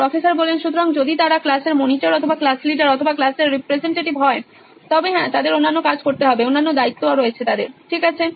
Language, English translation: Bengali, So if they are monitors of the class or class leaders or representative’s classes yes they can have other jobs to do, other responsibilities, okay